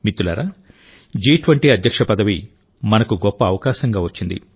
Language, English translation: Telugu, Friends, the Presidency of G20 has arrived as a big opportunity for us